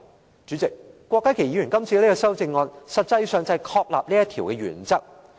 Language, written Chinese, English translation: Cantonese, 代理主席，郭家麒議員的修正案實際上旨在確立這個原則。, Deputy Chairman Dr KWOK Ka - kis amendment actually seeks to affirm this principle